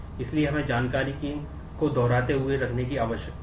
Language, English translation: Hindi, So, we need to keep both duplicating the information